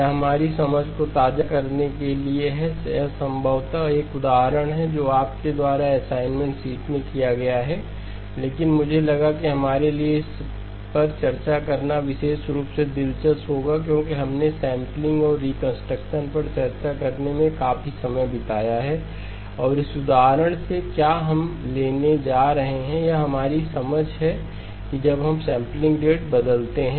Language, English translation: Hindi, This is to sort of refresh our understanding, it is probably an example that is similar to what you have done in the assignment sheet but I thought it will be interesting for us to discuss it especially since we have spent a fair amount of time discussing sampling and reconstruction and what we are going to take away from this example is our understanding that when we change the sampling rate